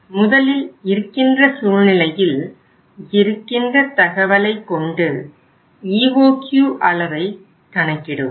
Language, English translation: Tamil, First of all from the existing situation, from the existing data you calculate what was our existing EOQ